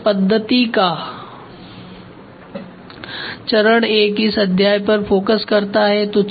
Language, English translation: Hindi, And phase I of this methodology is the focus of this chapter